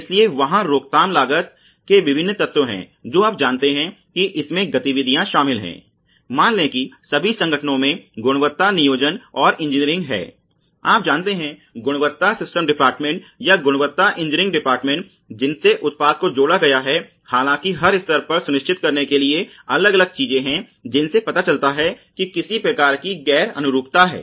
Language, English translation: Hindi, So, there are various elements of prevention costs you know which includes activities involving, let say quality planning and engineering in all organizations there is you know quality system department or quality engineering department which actually thus process added which thus product added, all though different things to ensure at every level that there is some kind of non conformance